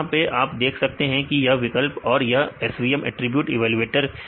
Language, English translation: Hindi, So, here you can see this is option this is the SVM attribute evaluator